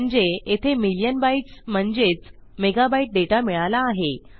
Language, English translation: Marathi, So weve got a million megabyte of data here